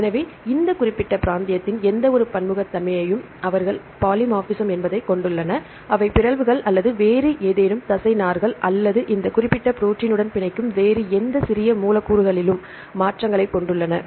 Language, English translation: Tamil, So, any diversity of this coding region, they have polymorphism right they have the changes upon mutations or either any other ligands or any other small molecules they bind to this particular protein